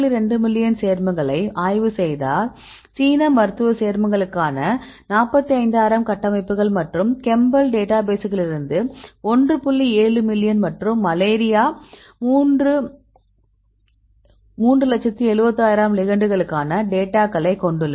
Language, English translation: Tamil, 2 million compounds, and this database for the Chinese medicinal compounds about 45,000 structures and chembl is one point seven million and specifically and the malaria they have data for 371,000 igands right